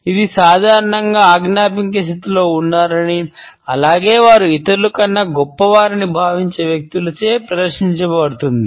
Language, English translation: Telugu, This is commonly displayed by those people, who think that they are in a position to command as well as they are somehow superior to others